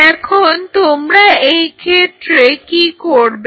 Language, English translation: Bengali, Now what you do in this case